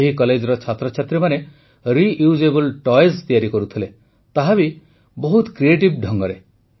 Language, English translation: Odia, Students of this college are making Reusable Toys, that too in a very creative manner